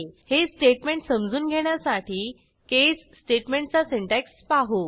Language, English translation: Marathi, Let us look at the syntax of the case statement in order to understand this statement